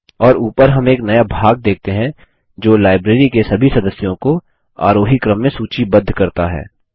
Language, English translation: Hindi, And we see a new section at the top that lists all the members of the Library in ascending order